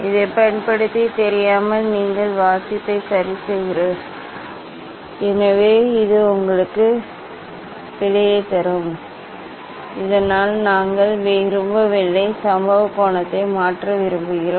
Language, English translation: Tamil, Using this one, so unknowingly you are changing the reading ok; so, this will give you error, so that we do not want, we want to change the incident angle, etcetera